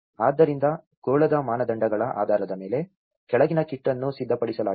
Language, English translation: Kannada, So, based on the sphere standards, the following kit has been prepared